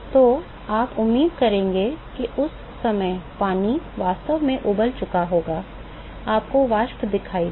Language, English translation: Hindi, So, you would expect that water would have actually boiled at that time, you will see vapors